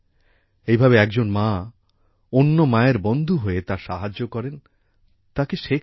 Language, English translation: Bengali, That is, one mother becomes a friend of another mother, helps her, and teaches her